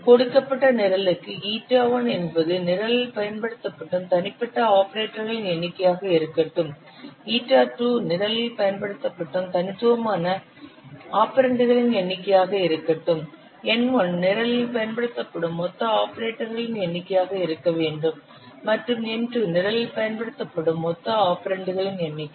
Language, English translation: Tamil, For a given program, let ita 1 be the number of unique operators which are used in the program, eta 2 with the number of unique operands which are used in the program, N1 be the total number of operators used in the program, and n2 be the total number of operants used in the program